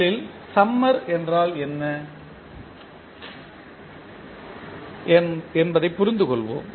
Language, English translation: Tamil, First let us try to understand what is summer